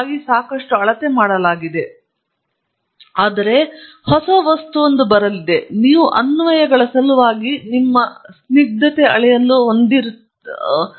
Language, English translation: Kannada, Of course, lots have been measured, but there are a new substance coming up, you will have to measure their viscosity for the sake of applications